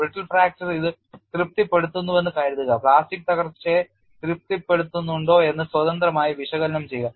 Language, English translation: Malayalam, Suppose it satisfies the brittle fracture independently analyzed whether it satisfies plastic collapse